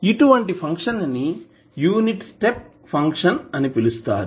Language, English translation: Telugu, So, this kind of function is called unit step function